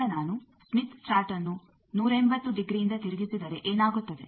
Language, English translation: Kannada, Now, what happens if I rotate the smith chart by 180 degree